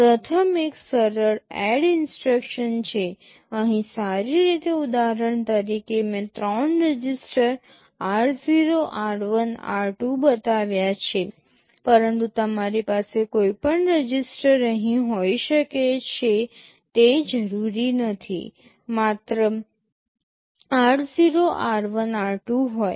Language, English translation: Gujarati, First is a simple add instruction, well here as an example I have shown three registers r 0, r1, r2, but you can have any registers here not necessarily only r0, r1, r2